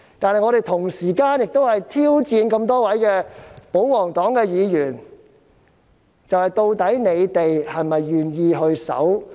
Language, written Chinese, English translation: Cantonese, 但是，我們同時也在挑戰多位保皇黨議員，究竟他們是否願意遵守遊戲規則呢？, At the same time however we are also challenging Members of the pro - Government camp . Are they actually willing to abide by the rules of the game?